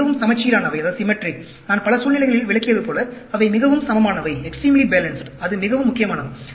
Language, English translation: Tamil, They are very symmetric, as I explained in many situations, they are extremely balanced; that is very, very important